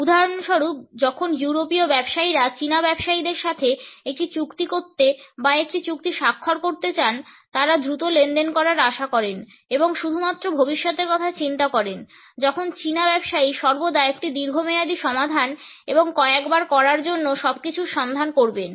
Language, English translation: Bengali, For instance when European businessman want to make a deal or sign a contract with Chinese businessmen, they expect to make to deal fast and only think about the future while the Chinese businessman will always look for a long term solution and everything to do several times